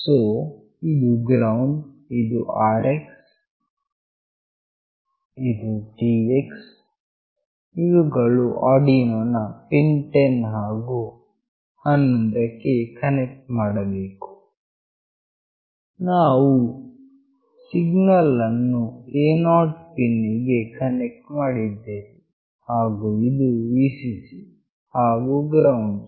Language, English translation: Kannada, So, this is ground, this is Rx, this is Tx that are connected to Arduino pins 10 and 11, and we have connected the signal to A0 pin, and this Vcc and ground